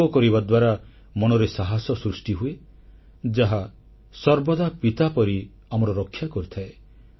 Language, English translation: Odia, The practice of yoga leads to building up of courage, which always protects us like a father